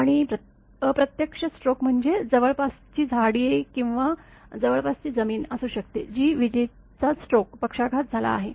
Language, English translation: Marathi, And indirect stroke means may be nearby trees or nearby ground that lightning stroke has happened